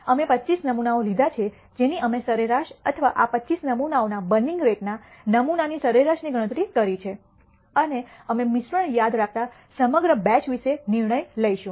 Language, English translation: Gujarati, We have taken 25 samples we compute them average or the sample mean of the burning rates of these 25 samples and we are going to make a judgment about the entire batch that we are making in the mixture remember